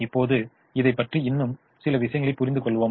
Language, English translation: Tamil, now let us understand a few more things about once again